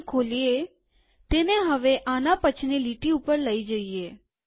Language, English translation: Gujarati, Lets take this to the next line